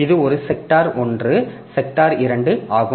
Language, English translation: Tamil, So, this is the, this is a sector